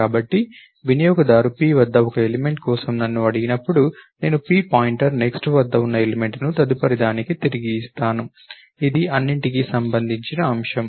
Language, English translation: Telugu, So, when the user asked me for an element at p, I will return the element at p point to next, that is the point of all of this